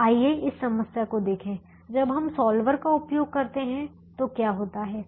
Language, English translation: Hindi, now let's look at this problem and see how, what happens when we use the solver